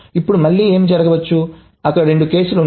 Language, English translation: Telugu, So, now what may happen is again there are two cases